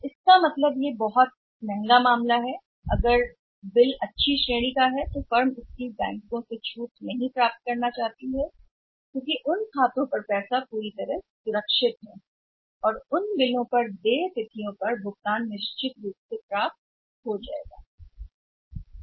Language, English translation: Hindi, So it means it is very, very expensive affair what happens if there is a good category of the bills firms do not want to get discounted from the banks because by to lose money on those accounts receivables which are fully secured and on those bills the payment on the due dates is certainly or it is it is bound to come at a certain that the payment will be received